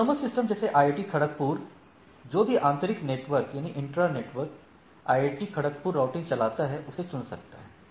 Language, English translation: Hindi, So, within the autonomous system the say IIT Kharagpur whatever the internal intra IIT KGP routing will be there it can choose